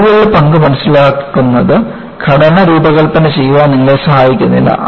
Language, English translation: Malayalam, Understanding the role of flaws, does not help you to design the structure